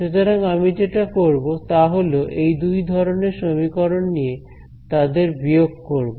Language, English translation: Bengali, So, the natural thing that I could do is I can take these two sets of equations and subtract them